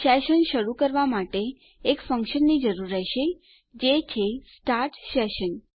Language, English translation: Gujarati, To start any session, we will need a function which is start session